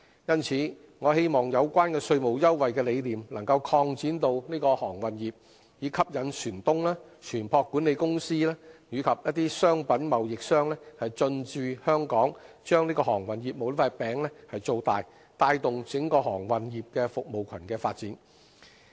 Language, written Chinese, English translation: Cantonese, 因此，我希望有關稅務優惠的理念能擴展到航運業，以吸引船東、船舶管理公司及商品貿易商等進駐香港，把航運業務這塊餅造大，帶動整個航運業服務群的發展。, Hence I hope the idea of offering tax concession can be extended to cover the maritime industry in order to attract ship - owners ship management companies and merchandise traders to anchor in Hong Kong enlarge the pie of maritime business and promote the development of the entire maritime service cluster